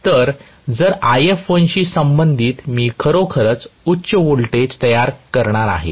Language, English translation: Marathi, So, corresponding to If1 I am going to actually have a higher voltage generated